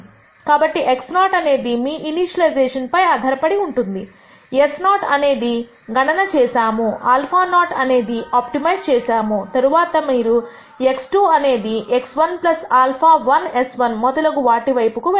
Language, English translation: Telugu, So, x naught is given based on your initialization, s naught is calculated, alpha naught is optimized for, then you go on to x 2 is x 1 plus alpha 1 s 1 and so on